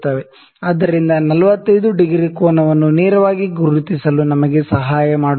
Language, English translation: Kannada, So, this 45 degree angle would help us to mark the 45 degree angle directly